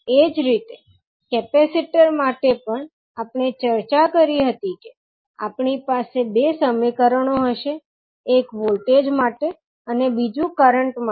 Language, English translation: Gujarati, Similarly for capacitor also we discussed that we will have the two equations one for voltage and another for current